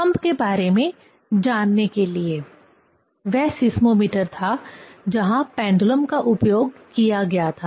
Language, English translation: Hindi, To learn, to know about the earthquake, that was the seismometer where pendulum was used